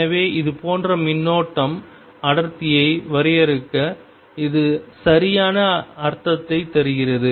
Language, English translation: Tamil, So, it makes perfect sense to define current density like this